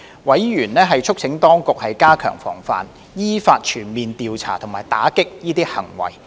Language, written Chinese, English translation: Cantonese, 委員促請當局加強防範，依法全面調查及打擊這些行為。, Members urged the Administration to step up prevention as well as fully investigate and combat these acts in accordance with the laws